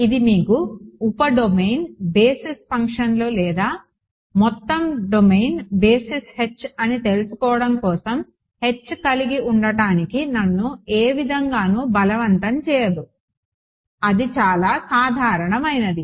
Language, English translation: Telugu, Now, and this does not in any way force me to have H to be you know sub domain basis functions or entire domain basis H is H whatever it is so a very general